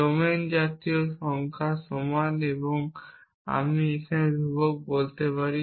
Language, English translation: Bengali, Let us say domain is equal to national numbers and I can say my constant